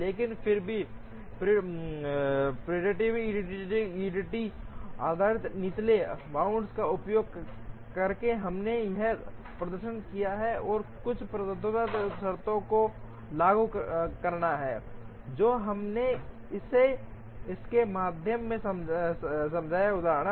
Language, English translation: Hindi, But, then using the preemptive EDD based lower bound which we demonstrated here, and also applying certain dominance conditions, which we explained through this example